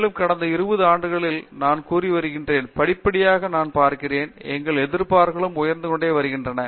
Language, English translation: Tamil, And, progressively I am seeing in the last 20 years that I have been around, our expectations are also getting elevated